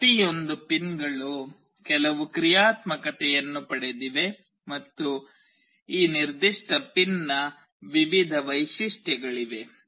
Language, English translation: Kannada, Each of the pins has got certain functionalities and there are various features of this particular pin